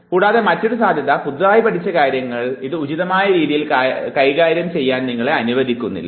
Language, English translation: Malayalam, And the other possibilities were the newly learnt thing, it does not allow you to perform things appropriately